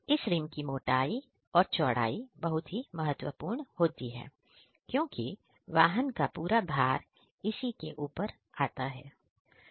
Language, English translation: Hindi, Its thickness and width are important parameters as wheel rim carry the entire load of the vehicle